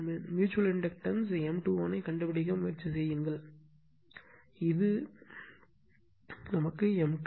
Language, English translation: Tamil, And we are trying to find out the mutual inductance M 2 1 that is that is this one M 2 1